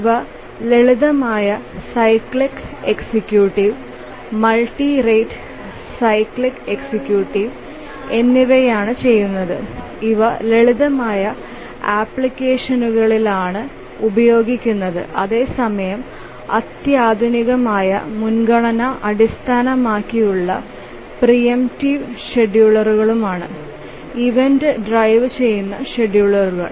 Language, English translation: Malayalam, So, these two the simple cyclic executive and the multi rate cyclic executive, these are used in rather simple applications whereas the ones that are sophisticated are the priority based preemptive schedulers